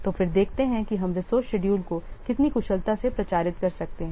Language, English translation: Hindi, So then let's see how efficiently we can publicize the resource schedule